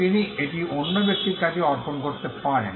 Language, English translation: Bengali, He may assign it to another person